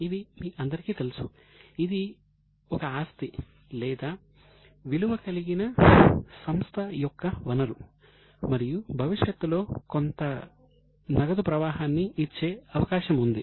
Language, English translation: Telugu, I think you all know this is something which is a property or a resource of a company which has a value and it is likely to give some probable future cash flow